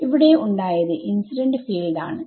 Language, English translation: Malayalam, So, what has happened is the incident field right